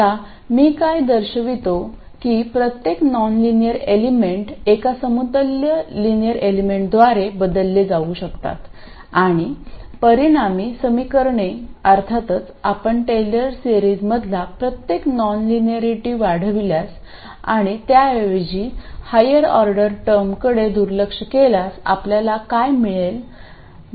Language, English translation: Marathi, Now, what I will show is that every nonlinear element can be replaced by a linear equivalent and the resulting equations will of course be the same as what you would get if you expanded every non linearity in a Taylor series and neglected higher order terms